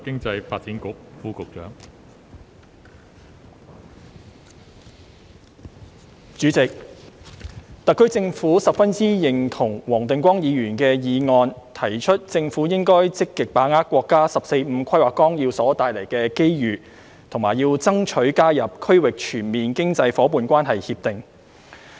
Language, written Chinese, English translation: Cantonese, 代理主席，特區政府十分認同黃定光議員的議案，提出政府應該積極把握國家《十四五規劃綱要》所帶來的機遇，以及要爭取加入《區域全面經濟伙伴關係協定》。, Deputy President the SAR Government fully agrees to Mr WONG Ting - kwongs motion which proposes that the Government should actively seize the opportunities brought by the National 14th Five - Year Plan and strive for accession to the Regional Comprehensive Economic Partnership RCEP